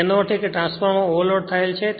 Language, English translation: Gujarati, That means, transformer is overloaded right